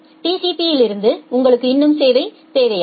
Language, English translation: Tamil, Do you still need the service from the TCP